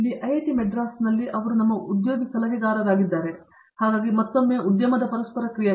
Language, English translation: Kannada, Here in IIT, Madras, he is also been our placement adviser so, again a lot of industry interaction